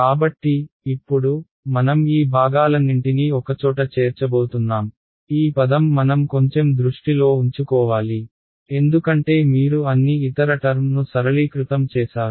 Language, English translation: Telugu, So, now, we are going to put all of these chunks together this is that term we have to keep a bit of eye on right, because all other terms you simplified